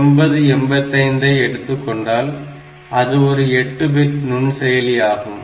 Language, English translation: Tamil, So, when I say a microprocessor is an 8 bit microprocessor